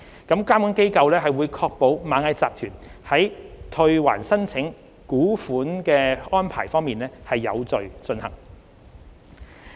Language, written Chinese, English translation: Cantonese, 監管機構會確保螞蟻集團在退還申請股款的安排有序進行。, The regulatory authorities will ensure that the refund arrangements by Ant Group will be conducted in an orderly manner